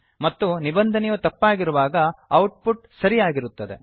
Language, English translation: Kannada, And when the condition is false the output will be true